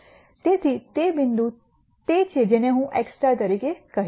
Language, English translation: Gujarati, So, that point is what I am going to call as x star